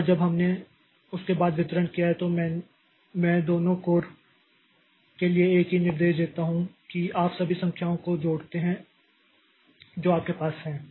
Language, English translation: Hindi, Once we have done the distribution after that I give the same instruction for both the codes telling that you add all the numbers that you have